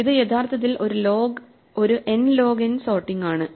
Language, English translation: Malayalam, This is actually an n log n sort